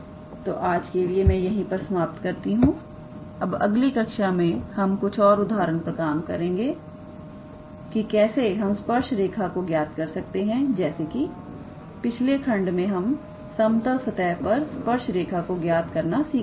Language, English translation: Hindi, So, today we will stop at here, in the next class we will work out few examples that how we calculate the tangent line although we saw in the previous chapter on level surfaces how we calculate the tangent line